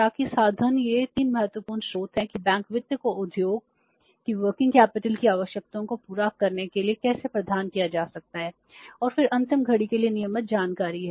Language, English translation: Hindi, So, that is the means these are the three important sources how the bank finance can be provided to fulfill the working capital requirements of the industry and then the last one is regular information for the close watch